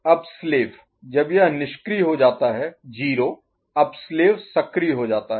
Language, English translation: Hindi, Now, slave when this becomes inactive 0 now slave becomes active right